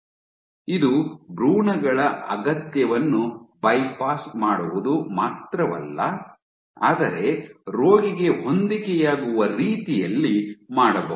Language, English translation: Kannada, So, not only does it bypass the need for embryos, but you can be this can be made in a patient matched manner